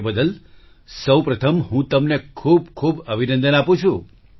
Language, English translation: Gujarati, So first of all I congratulate you heartily